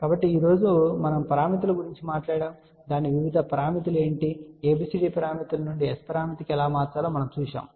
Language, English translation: Telugu, So, today we talked about S parameters and what are its various parameters we looked at how to convert from ABCD parameters to S parameter